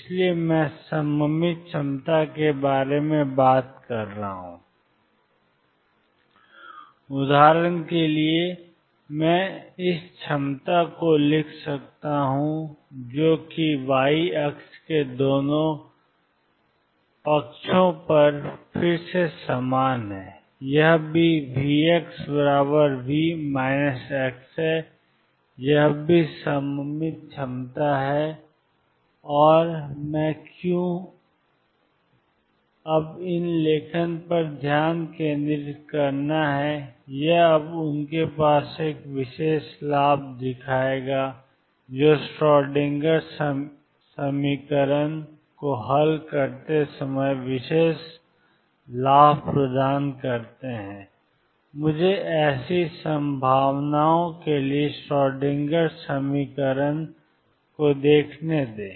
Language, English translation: Hindi, So, I am talking about symmetric potentials, for example, I could write this potential which is again the same on 2 of sides the y axis, this is also V x equals V minus x, this is also symmetric potential and why I am focusing on these write now is that they have a special advantage they provide special advantage while solving the Schrodinger equation let me look at the Schrodinger equation for such potentials